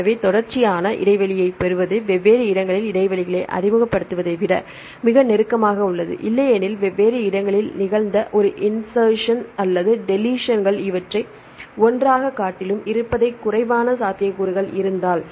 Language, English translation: Tamil, So, getting continuous gap is more closer than introducing gaps at the different places or the otherwise if your insertions or deletions which happened at different places are less probable than having this insertion deletions or together